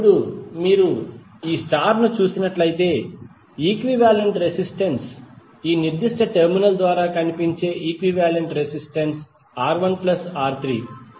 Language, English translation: Telugu, Now if you see the star, the equivalent resistance, the equivalent resistance seen through this particular terminal would R1 plus R3